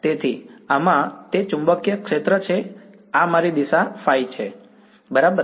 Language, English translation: Gujarati, So, in this it is the magnetic field this is my phi hat direction right